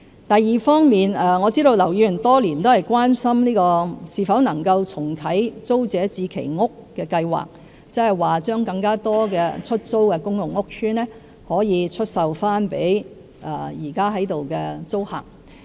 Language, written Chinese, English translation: Cantonese, 第二方面，我知道劉議員多年來一直很關心是否能夠重啟租置計劃，即把更多出租的公共屋邨單位出售給現在的租客。, Second I understand that Mr LAU has been very concerned over the years about the proposal of reintroducing TPS ie . selling more PRH flats to the existing PRH tenants